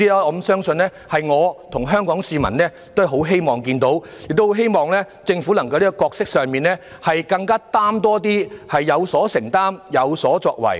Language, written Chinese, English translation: Cantonese, 我相信我和香港市民都很希望看到政府能在角色上承擔更多，政府要有所承擔，有所作為。, I believe both Hong Kong people and I would like to see that the Government is willing to commit itself more . The Government should be shoulder its responsibility and play its due role